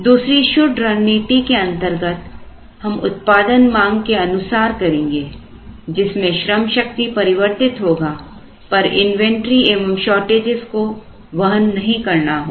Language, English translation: Hindi, The other pure strategy would be to produce the demand vary the workforce and do not incur inventory or shortage costs